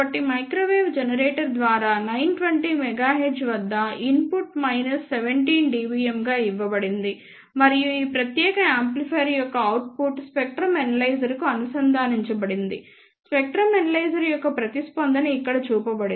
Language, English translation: Telugu, So, input was given as minus 17 dBm at 920 megahertz through a microwave generator, and the output of this particular amplifier was connected to the spectrum analyzer the response of the spectrum analyzer is shown over here